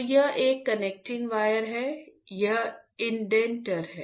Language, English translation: Hindi, So, this is a connecting wire, connecting wire, this is the indenter